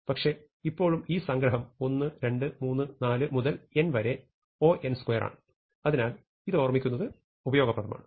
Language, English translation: Malayalam, But, still this summation 1, 2, 3, 4 up to n is O n square and this is something we will see often